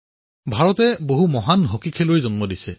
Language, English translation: Assamese, India has produced many great hockey players